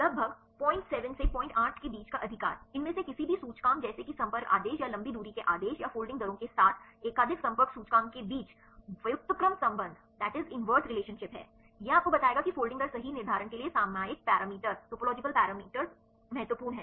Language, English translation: Hindi, 8 right, inverse relationship between any of these indices like contact order or long range order or multiple contact index with the folding rates this will tell you the topological parameters are important for determining the folding rates right